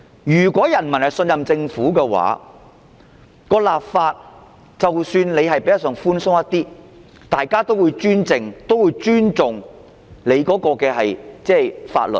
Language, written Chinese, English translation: Cantonese, 如果人民信任政府，即使立法較為寬鬆，大家也會尊重法律。, If the people trust the Government even if the legislation introduced is lenient they will still respect the law